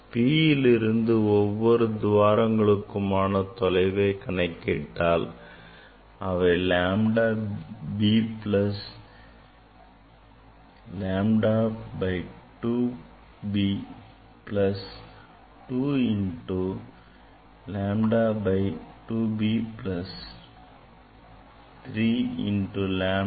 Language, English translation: Tamil, if we take distance from P on the this on the on this aperture by taking the distance lambda b plus lambda by 2 b plus 2 into 2 lambda by 2 b plus 3 into lambda by 2